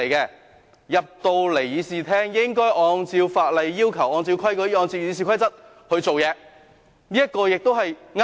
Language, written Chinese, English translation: Cantonese, 議員進入議事廳後，應該按照法例要求，按照規矩，按照《議事規則》行事，這也是對的。, It is also true that Members should behave in accordance with the laws regulations and Rules of Procedure once they entered the Chamber